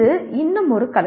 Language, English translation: Tamil, This is still an art